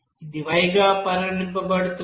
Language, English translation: Telugu, And it will be regarded as here Y